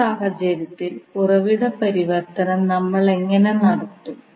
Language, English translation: Malayalam, So in this case, how we will carry out the source transformation